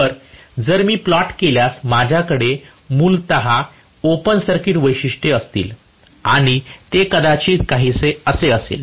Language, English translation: Marathi, So, I am going to have essentially the open circuit characteristics if plotted and that will be probably somewhat like this